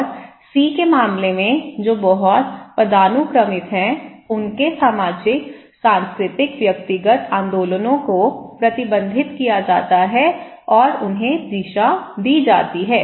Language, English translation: Hindi, And in case of C which is very hierarchical okay, every movement of their social, cultural personal movements are restricted and ordered